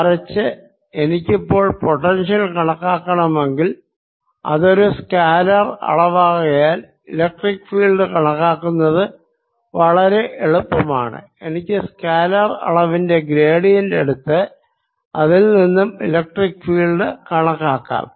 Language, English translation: Malayalam, on the other hand, if i now calculate the potential, which is a scalar quantity, calculating electric field becomes quite easy because i can just take the gradient of the scalar quantity and obtained the electric field on it